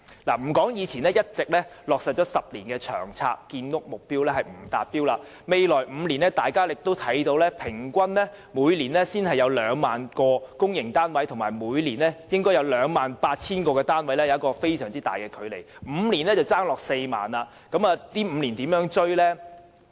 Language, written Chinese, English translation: Cantonese, 莫說已落實10年的《長遠房屋策略》所訂的建屋目標仍未達到，甚至在未來5年平均每年只提供 20,000 個公屋單位，這與每年須提供 28,000 個公營單位仍有很大的距離，即是說5年便欠 40,000 個單位。, Leaving aside the question that the 10 - year public housing supply target as set out in Long Term Housing Strategy has yet to be achieved given that an average of only 20 000 public housing units will be provided in each of the next five years it still falls far short of the target production of 28 000 units each year resulting in a shortfall of 40 000 units in five years